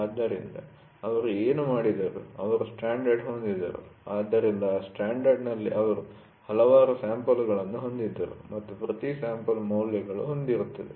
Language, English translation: Kannada, So, what they did was, they had they had a standard, so in that standard they had several samples and each sample they will have values